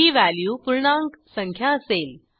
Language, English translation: Marathi, The value is an integer here